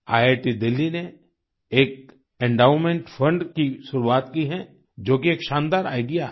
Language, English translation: Hindi, IIT Delhi has initiated an endowment fund, which is a brilliant idea